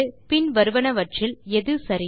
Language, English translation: Tamil, Which of the following is correct